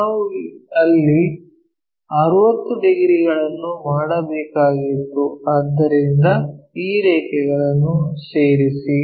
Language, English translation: Kannada, So, you supposed to make 60 degrees somewhere there so join these lines